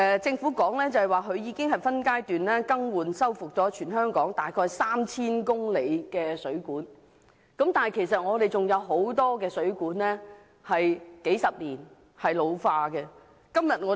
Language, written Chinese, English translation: Cantonese, 政府表示已分階段更換和修復全港約 3,000 公里水管，但其實仍有很多水管已使用了數十年，開始出現老化。, The Government indicated that a phased programme has already been launched to replace and rehabilitate about 3 000 km of aged water mains in the territory but there are still a lot of water mains which have in fact been in use for several decades and are ageing